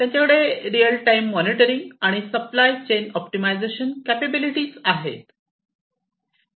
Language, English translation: Marathi, And they have the capability of real time monitoring and optimization of the supply chain